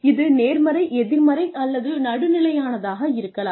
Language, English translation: Tamil, This can be positive, negative, or neutral